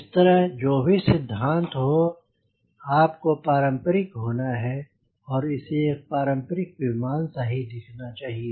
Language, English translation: Hindi, similarly, whatever theory you have, conventionally, you should look like a conventional aeroplane, right